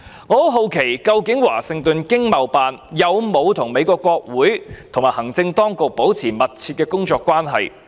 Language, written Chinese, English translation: Cantonese, 我十分好奇，究竟華盛頓經貿辦有否與美國國會和行政當局保持密切的工作關係？, I wonder if the Washington ETO has maintained a close working relationship with the Congress and the executive authorities of the United States?